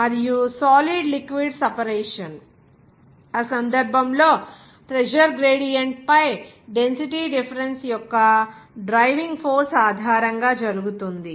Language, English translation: Telugu, And solid liquid separation, in that case, it is carried out based on the driving force of the density difference on the pressure gradient